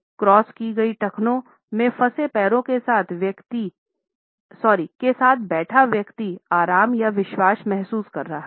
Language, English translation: Hindi, A person sitting with legs stretched out stooped in ankles crossed is feeling relaxed or confident